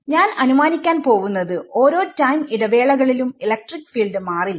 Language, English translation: Malayalam, So, I am going to assume that over each time interval electric field does not change right